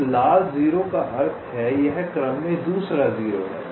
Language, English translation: Hindi, a red zero means this is the second zero in sequence